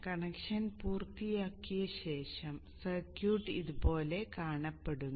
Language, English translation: Malayalam, After having made the reconnection, you see that the circuit is like this